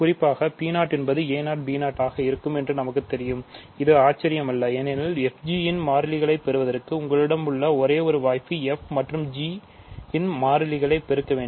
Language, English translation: Tamil, So, in particular we know P 0 will simply be a 0, b 0, which is not surprising right because to get the constant of f g, you must there is only one possibility you have to multiply the constant in terms of f and g